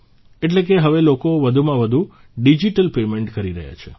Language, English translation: Gujarati, That means, people are making more and more digital payments now